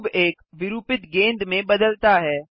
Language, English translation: Hindi, The cube deforms into a distorted ball